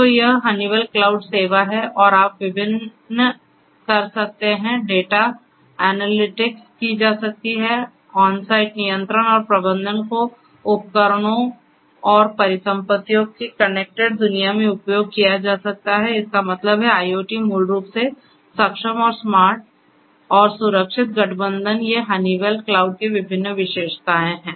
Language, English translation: Hindi, So, this is this Honeywell cloud service and you can do number of different things data analytics can be done, onsite control and management could be done connected world of devices and assets; that means, IoT basically enablement and smart and secure alliance these are the different features of the Honeywell cloud